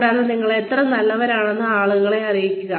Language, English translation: Malayalam, And, let people know, how good you are